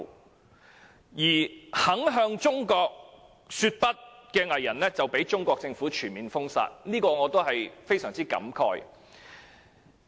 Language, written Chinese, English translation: Cantonese, 那些仍然敢向中國說不的藝人，更被中國政府全面封殺，我對此感到非常感慨。, As for those artistes who still dare say No to China they will even be banned by the Chinese Government on all fronts which is most regrettable